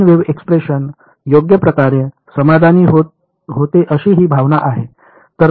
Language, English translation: Marathi, This is the expression that a plane wave satisfies right